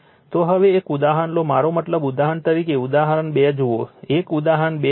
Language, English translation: Gujarati, So, now take one example, I mean for example, you please see the example 2, same example 2 you just see